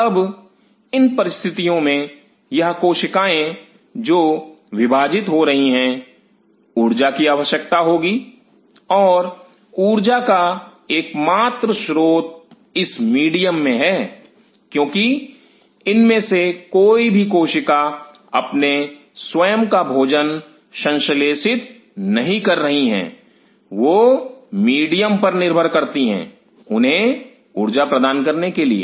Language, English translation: Hindi, Now on at this condition these cells which are dividing will need energy and it is only source of energy is in medium because none of these cells are synthesizing their own food material they are depending on the medium to supply them with energy